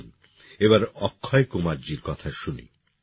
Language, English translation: Bengali, Come, now let's listen to Akshay Kumar ji